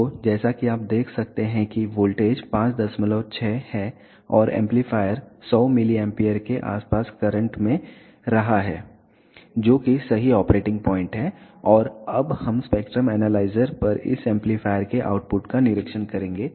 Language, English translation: Hindi, 6 and the amplifier is drawing around 100 milliamperes of current which is the correct operating point and now we will observe the output of this amplifier on the spectrum analyzer